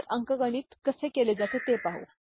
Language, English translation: Marathi, So, let us see how the arithmetic is done